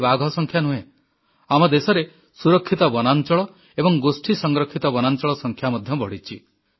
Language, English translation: Odia, Not only the tiger population in India was doubled, but the number of protected areas and community reserves has also increased